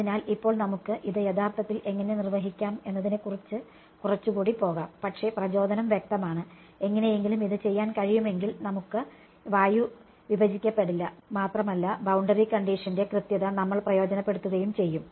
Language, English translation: Malayalam, So, now, we will go a little bit more into how can we actually accomplish this, but the motivation is clear, if we are somehow able to do this then we would have not discretized air and we would be taking advantage of exactness of boundary condition